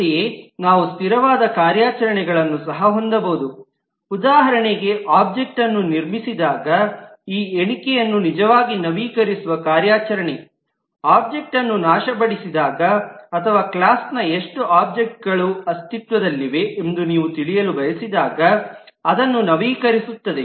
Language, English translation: Kannada, Accordingly, we could have operations which are also static, for example the operation which will actually update this count when an object is constructed, will update it when an object is distracted or when you want to know how many objects of a class exist, and so on